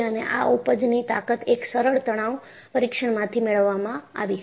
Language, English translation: Gujarati, And, this yield strength was obtained from a simple tension test